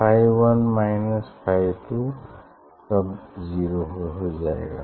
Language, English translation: Hindi, phi 1 minus phi 2 it is then 0